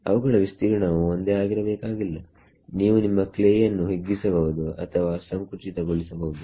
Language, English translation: Kannada, Need not have the same area, you can stretch your clay or compress your clay